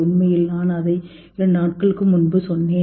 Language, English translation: Tamil, Actually, I just read it two days back